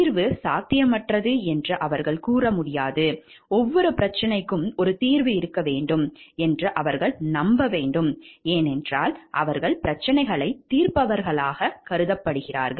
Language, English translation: Tamil, They cannot say like solution is not possible, they need to have they should believe like every problem it must be having a solution, because they are taken to be as problem solvers